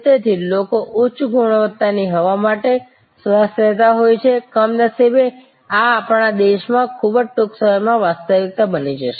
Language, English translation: Gujarati, So, people though in their to breath for at while good high quality air, unfortunately this may become a reality in our country very soon